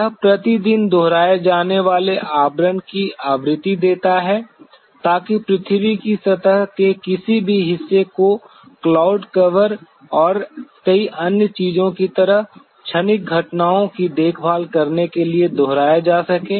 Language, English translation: Hindi, It gives the frequency of repetitive cover per day, so that any part of the earth surface could be repetitively studied to take care of any of the transient phenomena like cloud cover and many other things